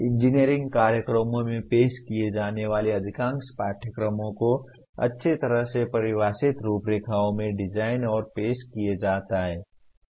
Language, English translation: Hindi, Most of the courses offered in engineering programs are designed and offered in a well defined frameworks, okay